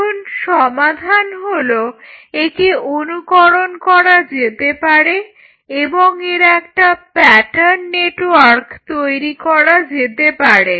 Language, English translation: Bengali, Now, solution could be mimicked and form a pattern network point 1